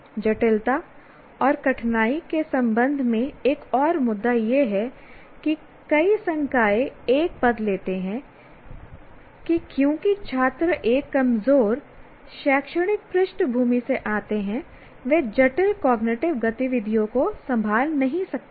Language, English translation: Hindi, And once again, another issue is with regard to complexity and difficulty, many faculty take a position that because the students they have, they come from a weaker academic background, they cannot handle complex cognitive activities